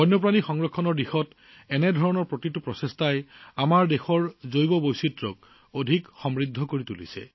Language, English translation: Assamese, With every such effort towards conservation of wildlife, the biodiversity of our country is becoming richer